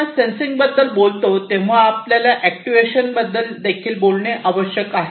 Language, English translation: Marathi, Now, when we talk about sensing at the same time we also need to talk about actuation